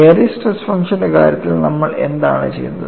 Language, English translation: Malayalam, See in the case of Airy's stress function what we did